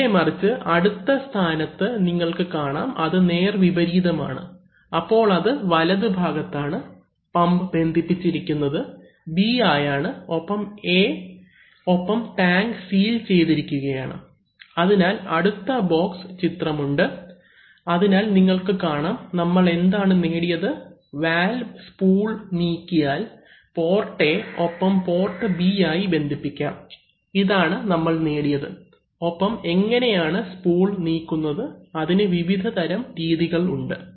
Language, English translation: Malayalam, On the other hand in the next position see, just the reverse, so, that is now, it is in the right position, so in the right position, pump is connected to B and A and tank are sealed, so you have the other box of the diagram, so you see that a particular, what have, what have we achieved, that by moving the spool, just by moving the spool of the valve, you can connect either port A to pump or port B to pump, this is what you have achieved and how do you move the spool, there are a variety of ways to move the spool